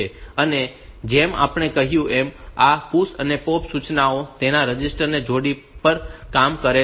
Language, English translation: Gujarati, And as we said that these PUSH and POP instructions they work on the register pairs